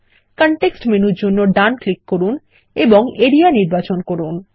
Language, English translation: Bengali, Right click for the context menu, and select Area